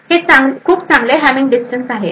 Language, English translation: Marathi, 1 is also a very good Hamming distance